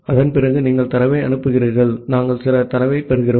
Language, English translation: Tamil, And after that you are sending the data, we are receiving certain data